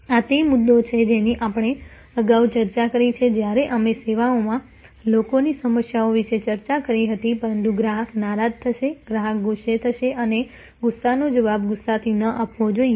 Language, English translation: Gujarati, This is the issue that we are discussed earlier when we discussed about people issues in services, but the customer will be upset, customer will be angry and that anger should not be responded with anger